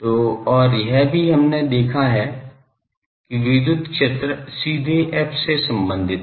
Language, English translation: Hindi, So, and also we have seen that the electric field is directly related to f